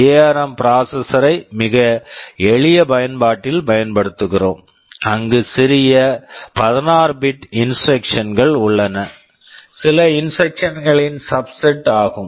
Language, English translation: Tamil, Maybe we are using the ARM processor in a very simple application, where smaller 16 bit instructions are there, some instruction subset